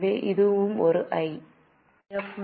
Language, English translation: Tamil, So, it's a I